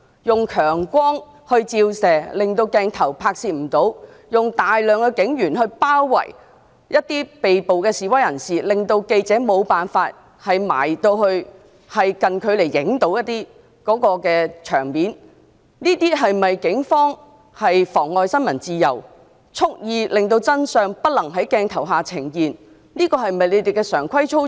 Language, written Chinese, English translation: Cantonese, 用強光照射致使拍攝無法進行，用大量警員包圍被捕示威人士，令記者無法近距離拍攝現場情況，這是否警方妨礙新聞自由、蓄意令真相不能在鏡頭下呈現的常規操作？, Regarding the Police shinning strong light to make filming impossible and encircling protesters with a large number of policemen to prevent journalists from filming at a close range are these standing practices adopted by the Police to obstruct the freedom of the press and to deliberately prevent the truth from being exposed through the camera?